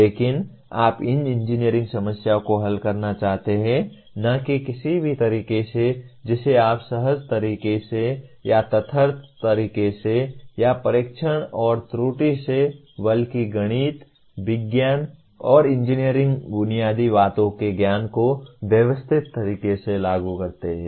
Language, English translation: Hindi, But you want to solve these engineering problems not in any what do you call intuitive way or ad hoc manner or by trial and error but applying the knowledge of the mathematics, science, and engineering fundamentals in a systematic manner